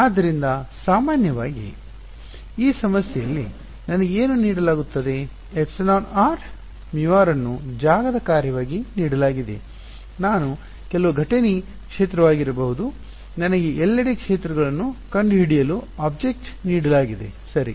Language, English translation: Kannada, So, typically what is given to me in this problem is; epsilon r mu r as a function of space is given to me may be some incident field is given to me object is given find out the fields everywhere ok